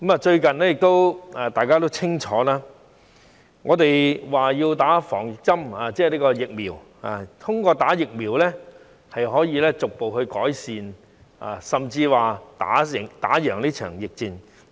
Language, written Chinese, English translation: Cantonese, 最近，大家都說要注射疫苗，認為通過注射疫苗，可以逐步改善甚至戰勝這場疫戰。, Everyone has been talking about vaccination lately and we think that through vaccination we can gradually improve the situation and can even win this pandemic battle